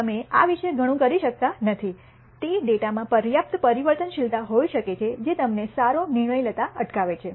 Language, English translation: Gujarati, This you may not be able to do much about this they might be enough sufficient variability in the data which prevents you from making a good decision